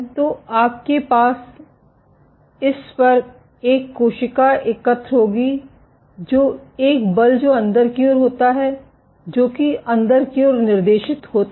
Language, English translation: Hindi, So, you will have a cell assemble on this, an exert forces which are inward direction which are directed inward